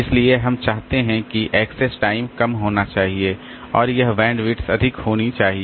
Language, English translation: Hindi, So, this we want that this access time should be low and this bandwidth should be high